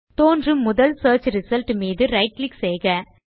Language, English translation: Tamil, Right click on the first search result that appears